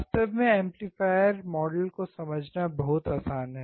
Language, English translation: Hindi, Very easy to actually understand the amplifier model